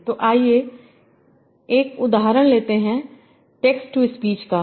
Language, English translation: Hindi, So let's take this example of text to speech